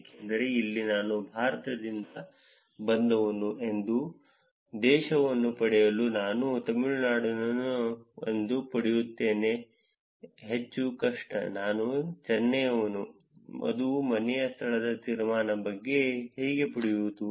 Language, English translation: Kannada, Because here to get the country that I am from India more difficult to get that I'm from Tamilnadu as a state it is even more difficult to get that I am from Chennai, that is about the inference of the home location